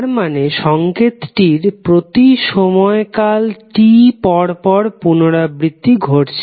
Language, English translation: Bengali, It means the signal is repeating after every time period that is capital T